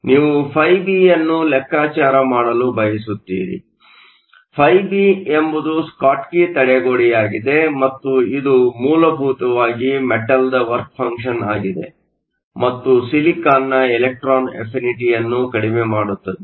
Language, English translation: Kannada, So, you want to calculate φB; φB is the Schottky barrier and that is essentially the work function of the metal minus the electron affinity of the silicon